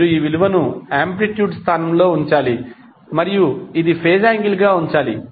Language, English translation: Telugu, You have to just simply put this value in place of amplitude and this as a phase angle